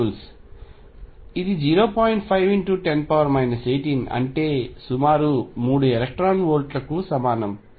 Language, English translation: Telugu, 6 times 10 raise to minus 19 roughly 3 electron volts